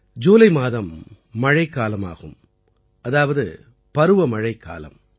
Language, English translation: Tamil, The month of July means the month of monsoon, the month of rain